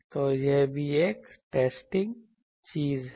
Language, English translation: Hindi, So, this is also one testing thing